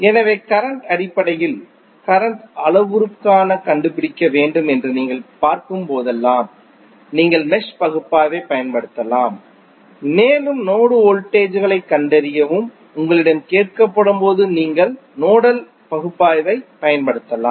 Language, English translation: Tamil, So, whenever you see that you need to find out the circuit parameters in terms of currents you can use mesh analysis and when you are asked find out the node voltages you can use nodal analysis